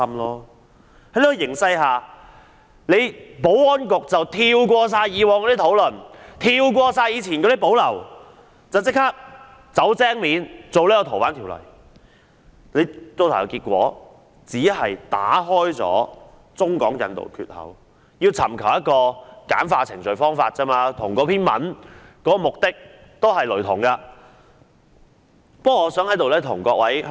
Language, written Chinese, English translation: Cantonese, 在這個形勢下，保安局不顧以往的討論和顧慮，"走精面"地提出《條例草案》，結果打開了中港引渡的缺口，簡化移交逃犯程序，與那篇文章的目的也是雷同的。, Now the Security Bureau is playing smart by introducing the Bill forgetting about the past negotiations and concerns . It will then open the floodgates for extradition between the Mainland and Hong Kong streamlining the procedures for surrendering fugitive offenders as suggested by the aforesaid article